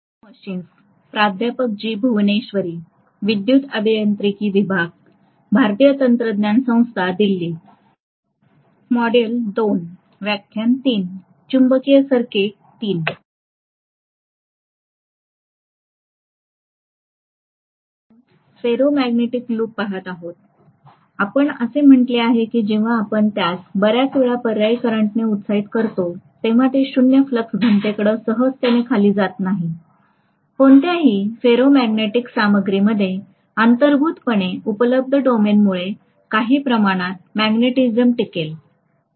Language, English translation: Marathi, Okay, so we were looking at the BH loop in a ferromagnetic material, we said that when we are exciting it several times with an alternating current repeatedly, it is not going to come down to 0 flux density very easily, it will retain some amount of magnetism whether you like it or not because of the inherently available domains that are there in any ferromagnetic material